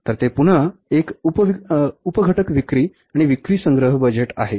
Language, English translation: Marathi, So, it's again a subcomponent, sales and sales collection budget